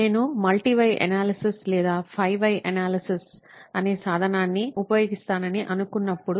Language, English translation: Telugu, That's when I thought I would use a tool called multi Y analysis or five wise analysis